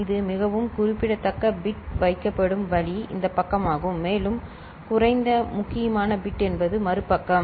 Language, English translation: Tamil, And the way it is put the most significant bit is this side and least significant is bit is the other side